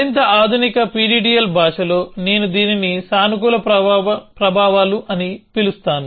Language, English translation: Telugu, In the more modern PDDL language, I would call this as positive effects